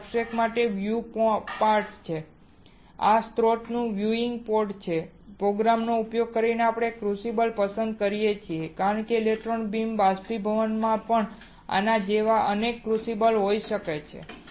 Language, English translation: Gujarati, This is the viewing port for the substrate, this is the viewing port for the source here using the program we can select a crucible because in electron beam evaporation there can be multiple crucibles as well like this